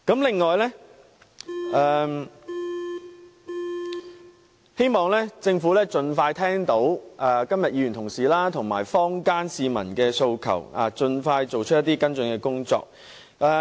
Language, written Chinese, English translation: Cantonese, 此外，我希望政府在聽到議員及市民提出的訴求後，盡快作出跟進工作。, Furthermore I hope that the Government can take follow - up action expeditiously after hearing the aspirations voiced by Members and members of the public